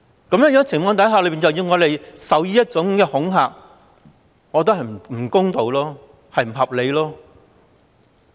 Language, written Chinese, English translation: Cantonese, 在這種情況下，要我們受這種恐嚇，我覺得不公道、不合理。, Under such circumstances I think it is unfair and unreasonable for us to be subjected to such intimidation